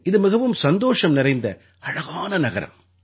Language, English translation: Tamil, It is a very cheerful and beautiful city